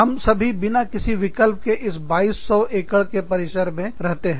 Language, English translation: Hindi, By default, we are all stuck in this 2200 acre campus, together